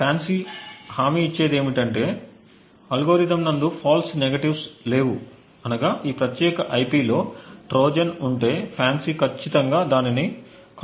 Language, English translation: Telugu, What the FANCI guarantees is that the algorithm has no false negatives that is if a Trojan is present in this particular IP then definitely a FANCI would actually detect it